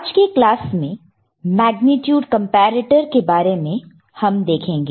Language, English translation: Hindi, In today’s class, we shall look at Magnitude Comparator